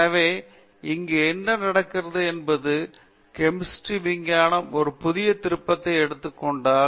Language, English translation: Tamil, So therefore, what has happened here is, in the chemistry if the research has taken a new turn